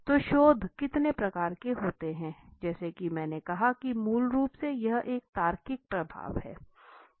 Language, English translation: Hindi, So what are the types of research approaches as I said basically it is a logical flow right